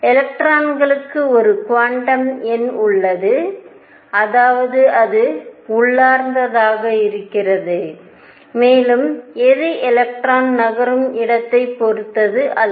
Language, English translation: Tamil, Electron has a quantum number of it is own; that means, it is intrinsic to it is intrinsic to it and it does not depend on where the electron is moving